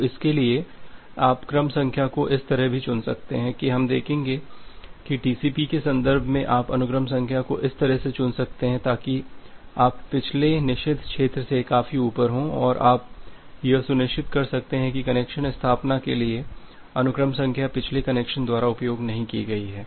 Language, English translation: Hindi, So, for that you can also choose the sequence number in such a way we will see that in the context of the TCP that you can choose the sequence number in such a way, so that you are significantly high above the forbidden region of the previous one and you can be sure that the sequence number has not been utilized by the previous connection, for connection establishment